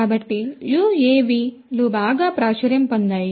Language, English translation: Telugu, So, UAVs have become very popular